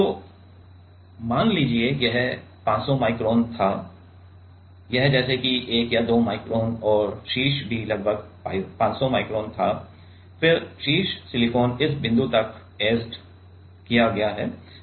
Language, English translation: Hindi, So, let us say this one was 500 micron, this is let us say 1 or 2 micron and the top was also about 500 micron, then the top silicon is etched till this point